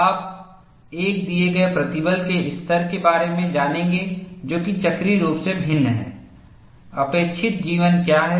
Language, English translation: Hindi, You will know for a given stress level which is cyclically varying, what is the expected life